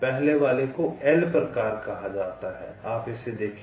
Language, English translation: Hindi, first is called l type